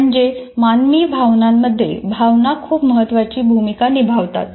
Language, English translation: Marathi, So emotions do play a very important role in human processing